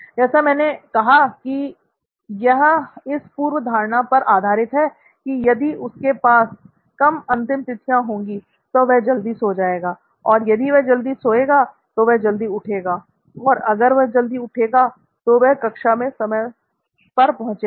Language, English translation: Hindi, So as I said, this relies on the assumption that if they had less deadlines, they would sleep early and if they slept early, they would wake up early and if they wake up early, they are on time for the class